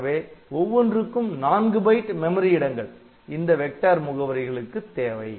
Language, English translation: Tamil, So, for each of these I will require 4 bytes of memory space to hold the corresponding vector address